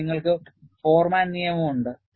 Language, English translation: Malayalam, Then, you have the Forman law